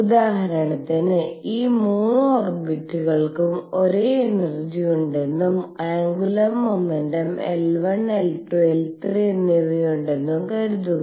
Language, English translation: Malayalam, So, for example, suppose these 3 orbits have all the same energies and have angular momentum L 1 L 2 and L 3